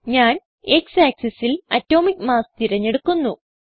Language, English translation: Malayalam, X: I will select Atomic mass on X axis